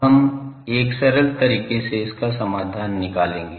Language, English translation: Hindi, Now, we will find a solution to that with a simplified case